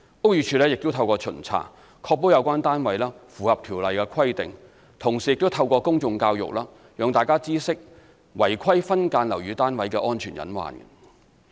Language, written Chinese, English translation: Cantonese, 屋宇署亦透過巡查，確保有關單位符合《條例》規定，同時亦透過公眾教育，讓大家知悉違規分間樓宇單位的安全隱患。, The Buildings Department BD ensures compliance of the flats with BO through inspections and educates the public potential safety risks arising from subdivided units with irregularities